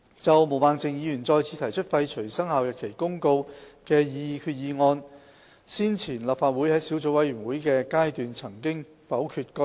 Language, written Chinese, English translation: Cantonese, 就毛孟靜議員再次提出廢除《生效日期公告》的決議案，先前立法會在小組委員會的階段曾否決該議案。, As for the resolution proposed by Ms Claudia MO once again to repeal the Commencement Notice it was previously negatived by the Legislative Council at the subcommittee stage